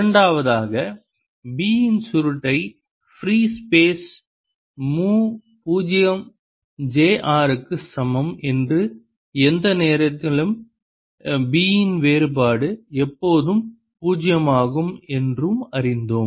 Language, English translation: Tamil, second, we learnt that curl of b is equal to mu zero, j r in free space and divergence of b at any point is always zero